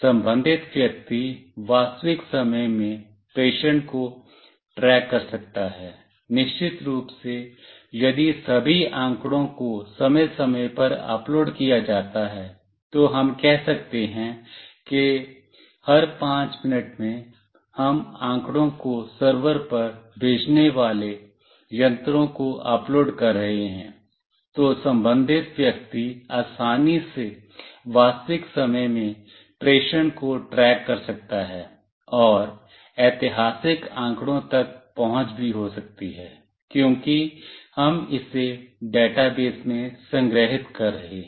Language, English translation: Hindi, The concerned person can track the consignment in real time, of course if all the data is uploaded time to time let us say every 5 minutes, we are uploading the devices sending the data to a server, then the concerned person can easily track the consignment in real time; and may also have access to historical data, because we are storing it in a database